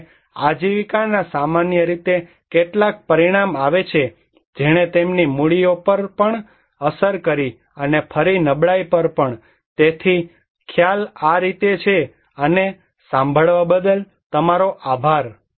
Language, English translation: Gujarati, And that livelihood generally have some outcome which also impacted their capitals and also again the vulnerability, so this concept is this way and thank you very much for listening